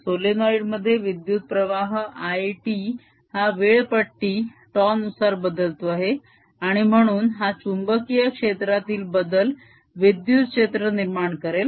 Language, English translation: Marathi, in the solenoid there is current i t changing in with time scale, tau, and therefore this change in magnetic field gives rise to the electric field